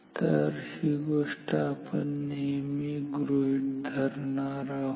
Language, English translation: Marathi, So, this is the assumption we are making always